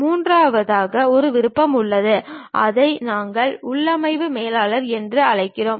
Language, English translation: Tamil, And there is a third one option, that is what we call configuration manager